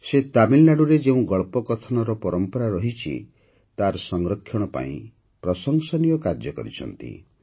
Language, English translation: Odia, He has done a commendable job of preserving the story telling tradition of Tamil Nadu